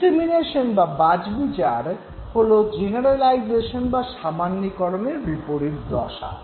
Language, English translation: Bengali, Discrimination would be the reverse of generalization